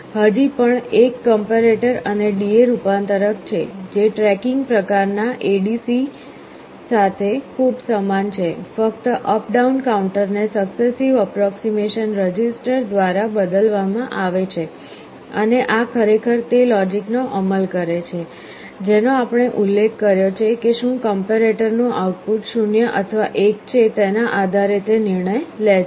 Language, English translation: Gujarati, There is still a comparator and a D/A converter, very similar to a tracking type ADC; just the up down counter is replaced by a successive approximation register and this implements actually the logic, which we mentioned depending on whether the output of the comparator is 0 or 1 it takes a decision